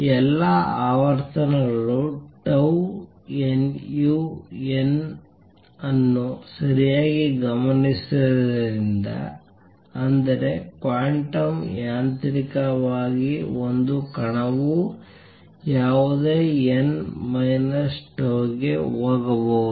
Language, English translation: Kannada, Since all the frequencies tau nu n are observed right; that means, quantum mechanically a particle can jump to any n minus tau